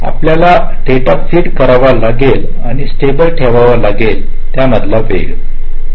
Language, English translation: Marathi, you have to feed the data and keep it stable